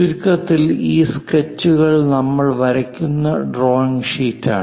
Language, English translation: Malayalam, And to summarize, a drawing sheet is the one on which we draw these sketches